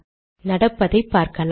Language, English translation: Tamil, See what happens